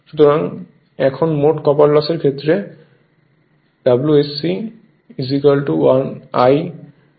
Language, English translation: Bengali, So, now total copper loss if you see W S C will be I 1 square R e 1